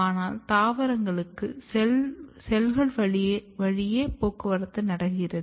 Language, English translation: Tamil, But in case of plants basically the transport occurs through the cells